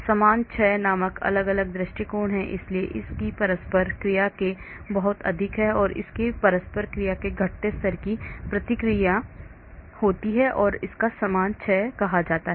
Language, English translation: Hindi, There are different approaches called uniform decay so the interaction of this is much more than the interaction of this, interaction of this so there is a uniformly decreasing level of interactions that is called the uniform decay